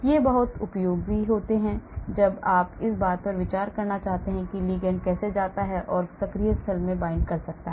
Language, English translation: Hindi, These are very useful when you want to consider how a ligand goes and binds into the active site